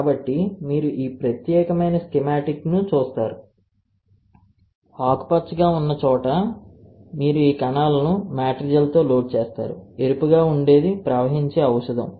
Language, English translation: Telugu, So, you see this particular schematic, the green one is where you load these cells with matrigel the red one is a drug that can flow